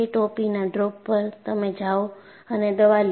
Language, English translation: Gujarati, At the drop of a hat, you go and take a medicine